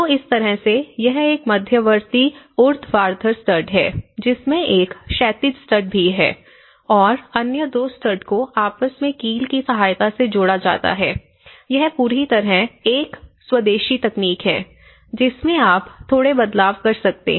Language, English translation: Hindi, So, in that way, it has an intermediate vertical studs and which also having a horizontal stud because you can see to nail it on to other two studs and this is a whole very indigenous technique, they have slightly upgraded this part